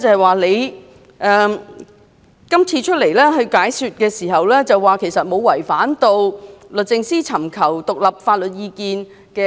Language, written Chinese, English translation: Cantonese, 換言之，以往律政司確曾就不少個案外聘大律師以提供獨立法律意見。, In other words DoJ had really sought independent legal advice from outside counsel on a number of cases in the past